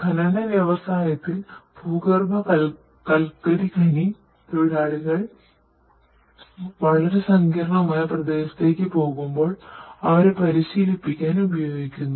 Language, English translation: Malayalam, In mining industry basically it is used to train the underground coal miners, whenever they are going to a very complex area